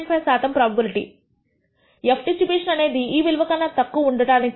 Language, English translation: Telugu, 5 percent probability that this f distribution is less than this value